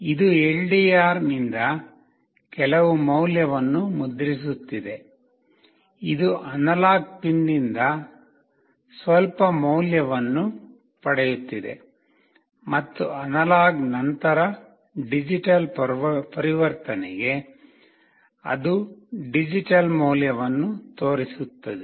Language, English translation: Kannada, This is printing some value from LDR; it is getting some value from the analog pin, and after analog to digital conversion it is showing the digital value